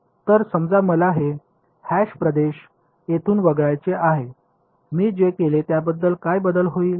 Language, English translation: Marathi, So, supposing I want to exclude this hashed region from here, what would change in what I have done